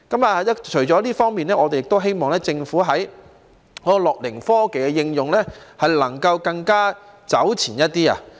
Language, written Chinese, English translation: Cantonese, 除了這方面，我們亦希望政府在"樂齡科技"的應用方面能夠走前一點。, In addition we also hope that the Government can take a step forward in the application of gerontechnology